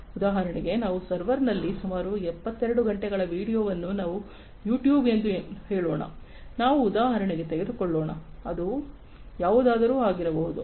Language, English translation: Kannada, For example, some 72 hours of video on some server such as let us say YouTube; let us just take for example, it could be anything